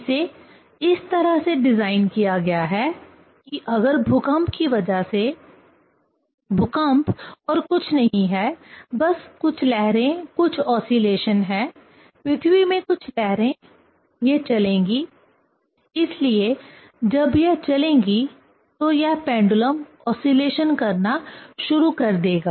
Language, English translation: Hindi, It is designed in such a way that if because of earthquake; earthquake is nothing, but some waves, some oscillations; some waves in earth, it will move; so when it will move this pendulum, it will start to oscillate